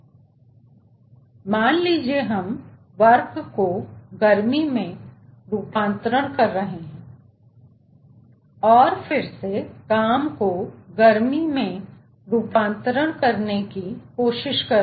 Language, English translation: Hindi, so we are converting, lets say, from work to heat, and then we are trying again the conversion of heat to work